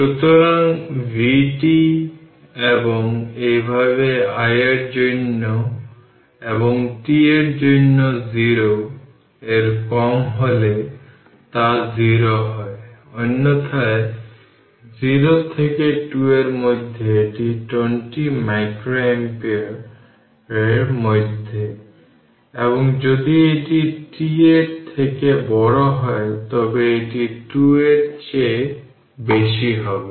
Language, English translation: Bengali, So, this is vt and similarly if you plot i t for I for your ah for ah t less than 0 it is 0, otherwise for in between 0 to 2 it is 20 micro your ampere and in and if it is greater than t is greater than ah 2 right